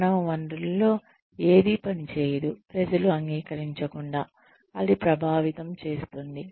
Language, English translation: Telugu, Nothing in human resources can function, without being accepted by the people, it is going to affect